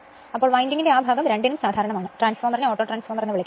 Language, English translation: Malayalam, So, that part of the winding is common to both, the transformer is known as Autotransformer